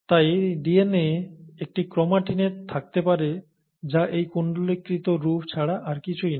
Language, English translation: Bengali, And, so DNA exists in what is called a chromatin form which is nothing but this coiled form, okay